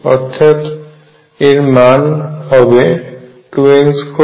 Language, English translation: Bengali, So, this is going to be 2 n